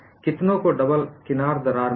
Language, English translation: Hindi, How many have got the double edge crack